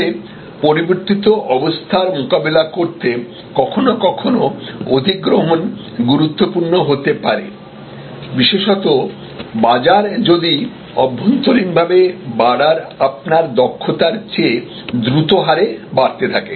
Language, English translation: Bengali, But, in responding to the changing condition sometimes acquisition may be important, because if the market is growing at a rate faster than your ability to grow internally